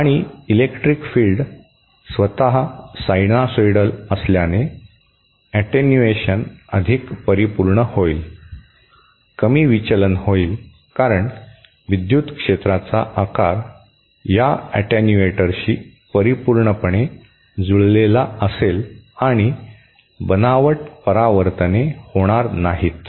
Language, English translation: Marathi, And since the electric field itself is sinusoidal, the attenuation will be more perfect, there will be less deflections because of the absence of because of the shape of the electric field is perfectly matched with this attenuator and those spurious reflections will not happen